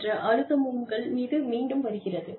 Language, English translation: Tamil, Again, pressure comes back on you